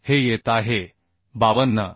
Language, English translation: Marathi, 06 so this is coming 52